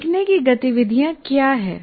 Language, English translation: Hindi, What are learning activities